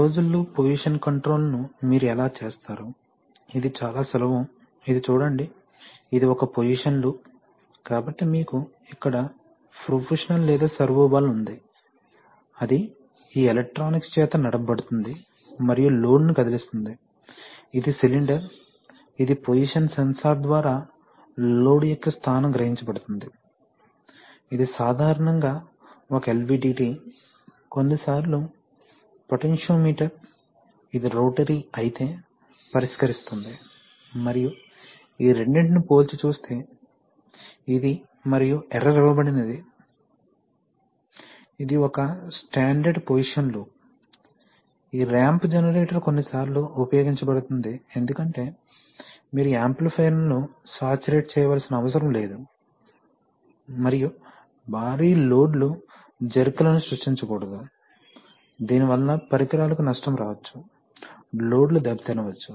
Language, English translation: Telugu, How do you do closed loop position control, so very simple this is a, see this is, this a position loop, so you have a proportional or servo valve here, that is driven by this electronics and moves the load, this is the cylinder, which, the position of the load is sensed by the position sensor, is the position typically an LVDT, sometimes the potentiometer, would be a resolver if it is rotary and these two are compared, this and the error is fed, its a standard position loop, this ramp generator is sometimes used because the fact that you do not need to saturate the amplifier and you want to heavy loads should not be, you cannot, should not give jerks to them that creates, might create the damage to equipment, might give damage to the loads